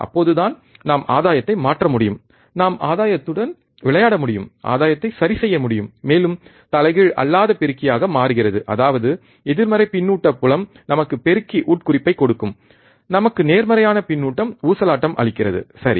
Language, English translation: Tamil, Then only we can change the gain we can we can adjust the gain we can play with the gain, and becomes a non inverting amplifier; means that, negative feedback field give us amplifier implication, positive feedback give us oscillation right